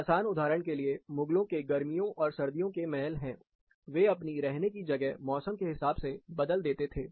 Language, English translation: Hindi, Simple example is the Mughal summer, winter palaces, they used to switch where they were living